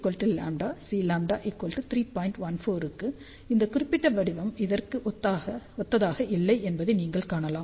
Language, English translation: Tamil, 14, you can see that this pattern is not similar to this particular pattern